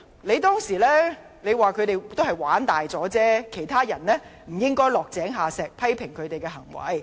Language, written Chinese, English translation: Cantonese, 你當時說，他們只是"玩大咗"，別人不應落井下石，批評他們的行為。, At the time you asserted that they had gone too far only saying that we should not kick them when they were down and criticize them for their conduct